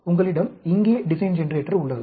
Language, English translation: Tamil, So, you have the design generator here